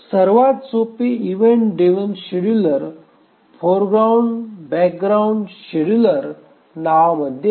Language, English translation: Marathi, The simplest event driven scheduler goes by the name foreground background scheduler